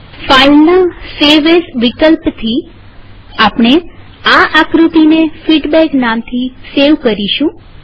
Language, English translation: Gujarati, Using the save as option on file, we will save this figure as feedback